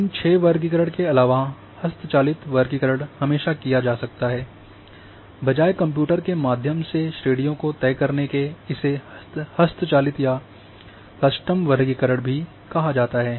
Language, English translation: Hindi, Apart from these 6 classification, manual classification can always be there,instead of going for computer to decide the classes also called manual or custom classification